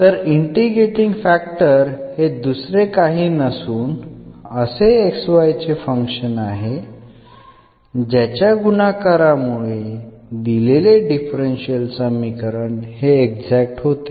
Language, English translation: Marathi, So, integrating factor is nothing but a function of x, y after multiplication to the given differential equation